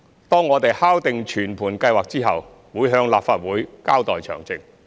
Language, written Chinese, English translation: Cantonese, 當我們敲定全盤計劃後，會向立法會交代詳情。, Once the thorough plan is finalized we will report the details to the Legislative Council